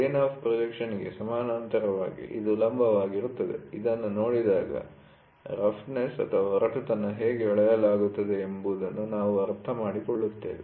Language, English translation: Kannada, So, parallel to the plane of projection, this is perpendicular to the so, when we look at this we will should understand how is the roughness measured